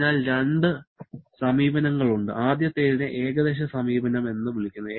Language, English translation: Malayalam, So, there are two approaches, the first one is called approximate approach